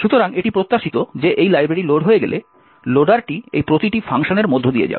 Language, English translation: Bengali, Thus, at a time when this particular library gets loaded, the loader would look into this table and passed through each row in this table